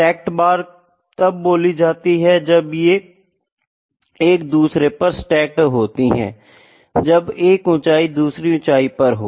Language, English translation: Hindi, Stacked bar is when it is stacked over each other, when 1 height can be added to the other height